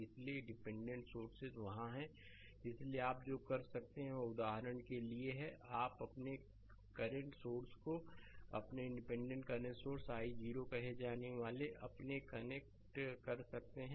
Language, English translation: Hindi, So, dependent source is there so, what you can do is for example, you can connect a your what you call a current source say your independent current source i 0